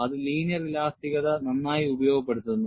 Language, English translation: Malayalam, That is well utilized in linear elasticity